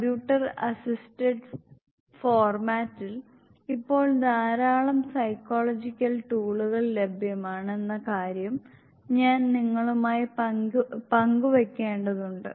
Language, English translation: Malayalam, I must share with you that a large number of psychological tools are now available in the computer assisted format